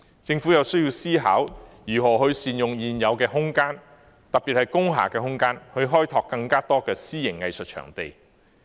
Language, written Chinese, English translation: Cantonese, 政府有需要思考如何善用現有空間，特別是工廈的空間，以開拓更多私營藝術場地。, It is necessary for the Government to contemplate how to make good use of existing spaces especially those in industrial buildings to provide more private arts venues